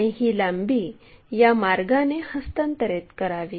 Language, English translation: Marathi, So, transfer this length in that way